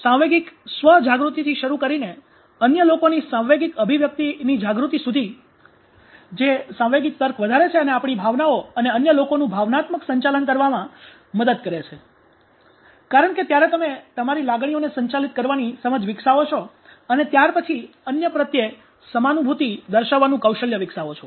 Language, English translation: Gujarati, So starting from the emotional self awareness emotional expression awareness of others which gives raise to emotional reasoning and that helps us managing our emotions, emotional management of others because, when you develop and understanding of managing emotions of yours and then you develop displaying empathy towards others and as a result you develop a sense of control at the time of emotional turmoil